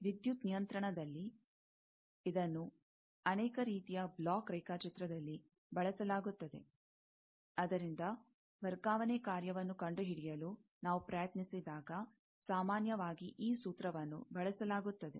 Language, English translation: Kannada, In electrical control, this is used in many type of block diagram, when we try to find the transfer function from that, generally, this formula is used